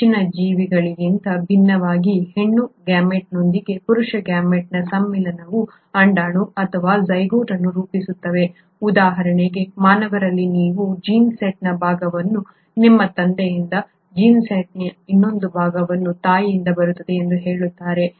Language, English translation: Kannada, Unlike higher organisms where there is fusion of the male gamete with the female gamete to form an egg or the zygote say for example in humans you have part of the gene set coming from your father and a part of the gene set is coming from the mother, that is what you call as sexual reproduction, that does not happen in these group of organisms